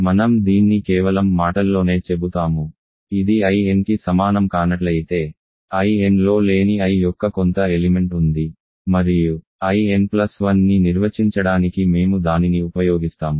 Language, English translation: Telugu, I will just say this in words, I must equal in because if it is not equal to I n, there is some element of I that is not in I n and we use that to define I n plus 1